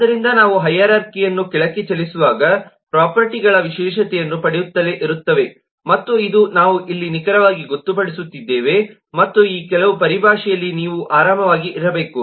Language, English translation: Kannada, so this is how properties continue to get specialized as you move down a hierarchy, and this is exactly what we are designating here and in this, some more terminology that you should be comfortable with